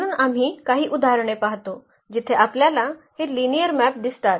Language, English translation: Marathi, So, we go through some of the examples where we do see this linear maps